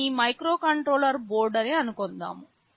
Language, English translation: Telugu, Suppose this is your microcontroller board